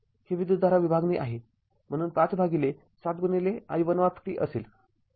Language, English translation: Marathi, Is a current division so 5 by 7 into i1t